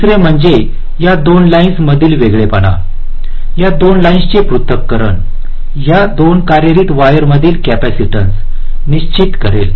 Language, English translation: Marathi, the separation of these two lines will determine the capacitance between these two run running wires